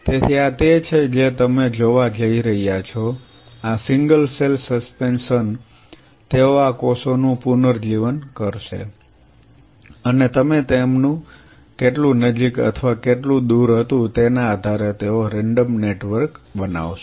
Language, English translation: Gujarati, So, this is what you are going to see, these single cell suspensions they will these cells will regenerate and they will form a random network depending on how close or how had a distance you are plating them